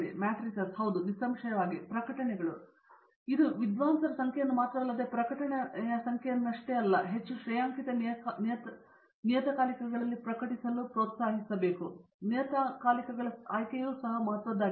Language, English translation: Kannada, The matrices’ yes; obviously, publications we strongly encourage this scholars to publish in highly rated journals not just for the numbers and not just for the number of a publication, but the choice of journals is also equally important